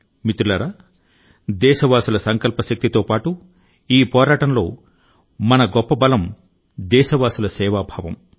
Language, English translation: Telugu, in this fight, besides the resolve of our countrymen, the other biggest strength is their spirit of service